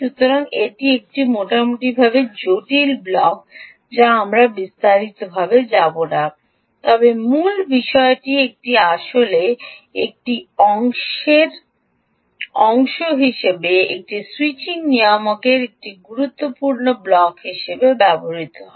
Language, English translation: Bengali, so its a fairly complex block which we will not go into detail, but the point is its actually used as part of the ah, part of the, as a important block of a, a switching regulator